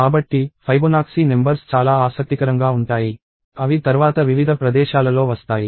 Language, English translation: Telugu, So, Fibonacci numbers are very interesting they come in various places later